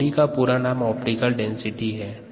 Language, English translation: Hindi, OD is stands for optical density